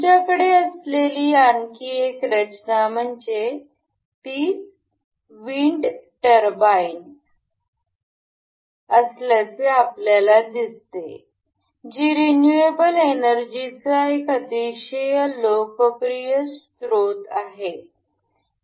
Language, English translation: Marathi, Another design we have is we can see it is wind turbine, it is a very popular source of renewable energy